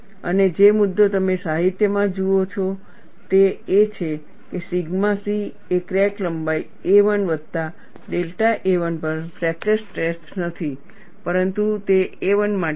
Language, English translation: Gujarati, And the issue, what you look at in the literature is, sigma c is not fracture strength at crack length a 1 plus delta a 1, but it is for a 1